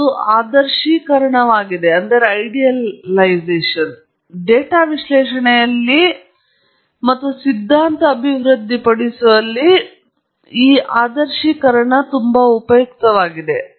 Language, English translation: Kannada, It’s an idealization, that is very useful in data analysis and in developing the theory